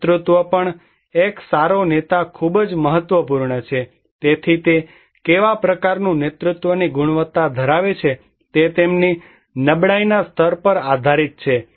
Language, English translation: Gujarati, And also the leadership, a good leader is very important, so what kind of leadership quality one carries it depends on their level of vulnerability